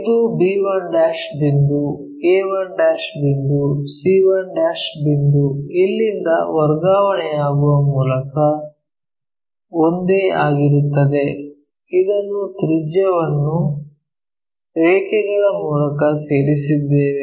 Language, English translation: Kannada, So, our b 1 point is, a 1 point here, c 1 point will be the same by transferring from here, whatever the radius we have join this by lines